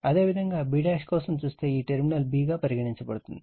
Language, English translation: Telugu, And similarly, for b dash if you look, this terminal is taken b